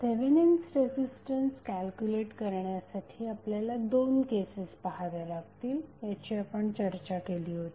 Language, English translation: Marathi, Now, we also discussed that for calculation of Thevenin resistance we need to consider two cases, what was the first case